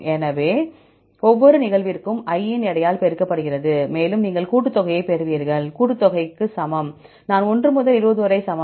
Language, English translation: Tamil, So, for each occurrence is multiplied by weight of i and you get the summation; summation equal to, i equal to 1 to 20